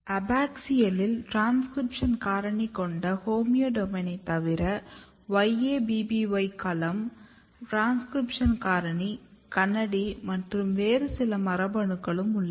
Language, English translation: Tamil, Apart from the homeodomain containing transcription factor in abaxial you have YABBY domain transcription factor and KANADI some of the other genes and what happens in this mutant background